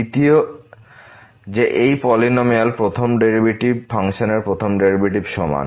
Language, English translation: Bengali, Second: that the first derivative of this polynomial is equal to the first derivative of the function